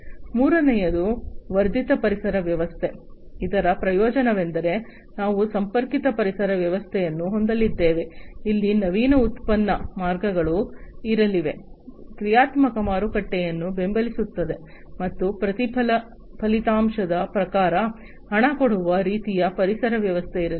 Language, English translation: Kannada, Third is enhanced ecosystem, the benefits are that we are going to have a connected ecosystem, where there are going to be innovative product lines, supporting dynamic marketplace, and there is going to be pay per outcome kind of ecosystem